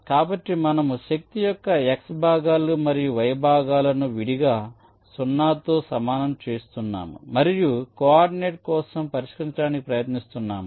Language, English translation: Telugu, so we are separately equating the x components and y components of the force to a zero and trying to solve for the coordinate